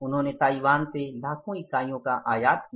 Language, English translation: Hindi, He imported in millions of units from Taiwan